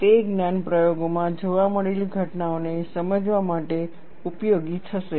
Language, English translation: Gujarati, That knowledge would be useful, to understand the phenomena observed in the experiments